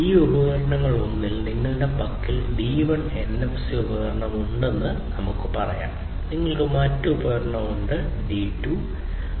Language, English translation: Malayalam, Let us say that you have in one of these devices D1 NFC device, you have another device D2